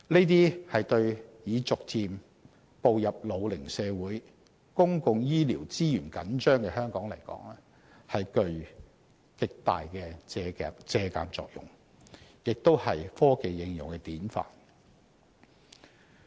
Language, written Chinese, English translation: Cantonese, 對於已逐漸步入老齡社會、公共醫療資源緊張的香港，這些措施具極大借鑒作用，亦是科技應用的典範。, As models of application of technologies these measures have great reference value for Hong Kong which is becoming an ageing society with an over - stretched public health care system